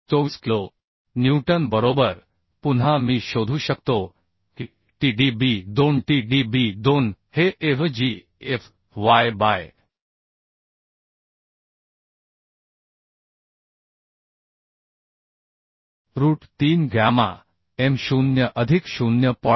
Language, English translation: Marathi, 24 kilonewton right Again I can find out Tdb2 Tdb2 will be Avgfy by root 3 gamma m0 plus 0